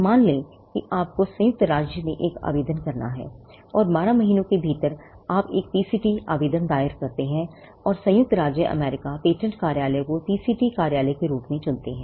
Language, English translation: Hindi, Assume that you have to file an application in the United States, and within 12 months you file a PCT application choosing United States patent office as the PCT office